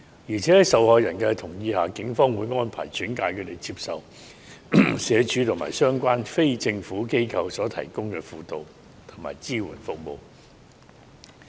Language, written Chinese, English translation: Cantonese, 況且，在受害人同意下，警方會安排轉介他們接受社署及相關非政府機構所提供的輔導和支援服務。, Moreover with the consent of the victims the Police may refer them to receive the counselling and supporting services from SWD and relevant non - governmental organizations